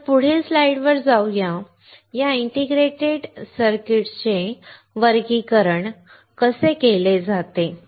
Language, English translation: Marathi, So, let us move to the next slide, how are these integrated circuit classified as